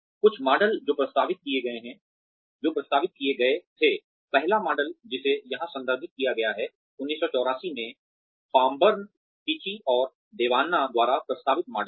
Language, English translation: Hindi, Some models that were proposed, the first model here, that is referred to here, is the model proposed by, Fomburn, Tichy & Devanna, in 1984